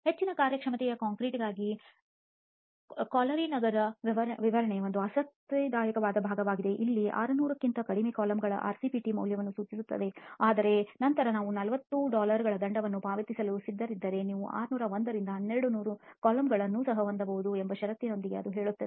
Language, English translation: Kannada, An interesting part is this Calgary city specification for high performance concrete where it specifies an RCPT value of less than 600 columns but then it says with a clause that you can also have 601 to 1200 coulombs provided you are willing to pay a penalty of 40 Dollars per cubic meter